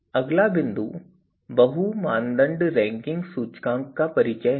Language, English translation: Hindi, Introduces the multi criteria ranking index